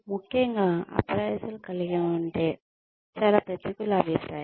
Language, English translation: Telugu, Especially, if the appraisal contains, a lot of negative feedback